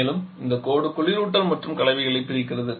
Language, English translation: Tamil, And also this line separates the refrigerant and the mixtures